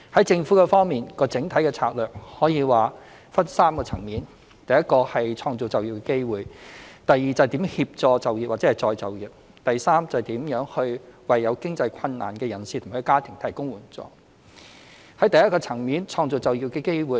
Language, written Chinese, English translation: Cantonese, 政府方面，整體的策略可說是分為3個層面：一創造就業機會；二如何協助就業或再就業；及三如何為有經濟困難的人士及家庭提供援助。在第一個層面，創造就業機會。, On the part of the Government it can be said that our overall strategy is comprised of three aspects 1 Creating job opportunities; 2 how to assist employment or re - employment; and 3 how to provide assistance for people and families in financial difficulty